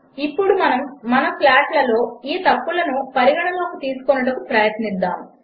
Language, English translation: Telugu, Now we shall try and take these errors into account in our plots